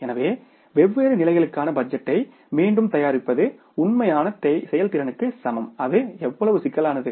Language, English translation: Tamil, So, again preparing the budget for the different level of is equal to the actual performance, how complex it is